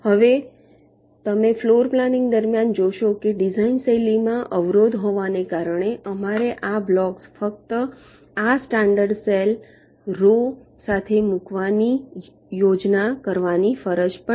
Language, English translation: Gujarati, you see, during floorplanning, because of the constraint in the design style, we are forced to plan our these blocks to be placed only along this standard cell rows